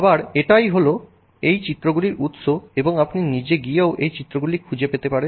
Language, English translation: Bengali, Again this is the source for these images and you can go and look up this images on your own too